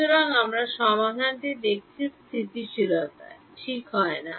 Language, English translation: Bengali, So, stability we have seen solution does not ok